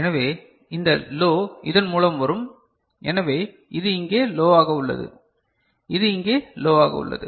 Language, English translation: Tamil, So, this low will come through this and so, this is low over here, this is low over here